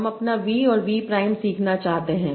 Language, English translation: Hindi, I want to learn my v and v